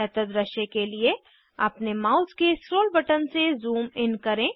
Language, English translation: Hindi, I will zoom in with scroll button of my mouse for better view